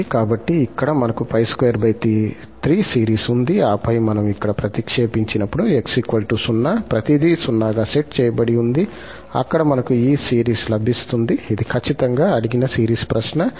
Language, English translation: Telugu, So here, we have the series pi square by 3 and then when we have substituted here x equal 0, everything is set to 0 and there, we will get this series which is precisely the series which was asked in the question